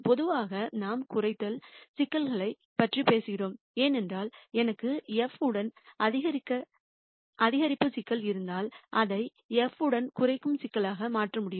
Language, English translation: Tamil, In general we talk about minimization problems this is simply because if I have a maximization problem with f, I can convert it to a minimization problem with minus f